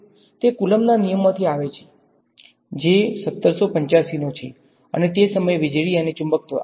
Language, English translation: Gujarati, It comes from Coulomb’s law which is 1785 and at that time electricity and magnetism